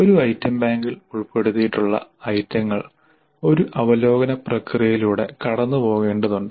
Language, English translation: Malayalam, So items included in an item bank need to go through a review process